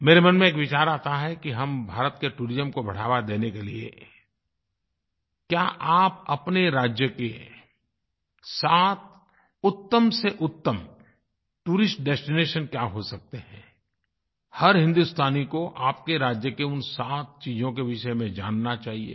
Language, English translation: Hindi, A thought comes to my mind, that in order to promote tourism in India what could be the seven best tourist destinations in your state every Indian must know about these seven tourist spots of his state